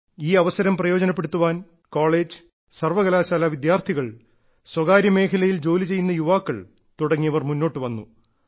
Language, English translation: Malayalam, And to avail of its benefits, college students and young people working in Universities and the private sector enthusiastically came forward